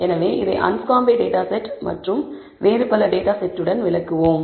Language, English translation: Tamil, So, let us do this illustrate with the anscombe data set and also other data set